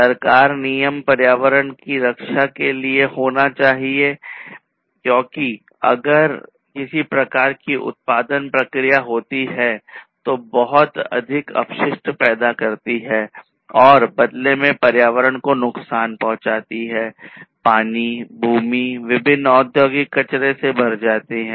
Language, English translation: Hindi, So, government regulations should be there to protect the environment, because you know if there is some kind of production process, which produces lot of waste and in turn harms the environment the water, the land etc are full of different industrial wastes then that is not good